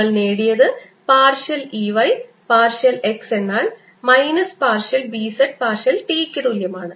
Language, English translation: Malayalam, b z we've obtained are partial e, y, partial x is equal to minus, partial b z, partial t